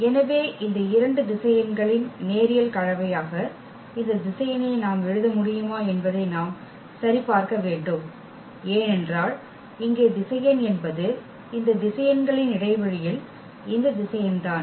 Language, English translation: Tamil, So, what do we need to check basically can we write this vector as a linear combination of these two vectors because this is the question here that is this vector in the span of the vectors of this